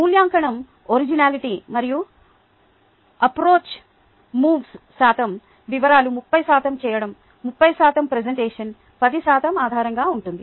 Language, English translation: Telugu, the evaluation will be based on originality and approach: thirty percent details, thirty percent duability, thirty percent presentation